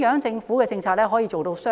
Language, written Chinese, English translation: Cantonese, 政府的政策如何做到"雙贏"？, How can the Government achieve a win - win situation?